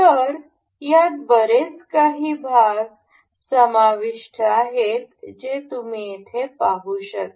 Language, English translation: Marathi, So, the there are a huge number of parts included in this you can see here